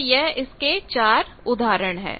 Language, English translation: Hindi, So, these four I think examples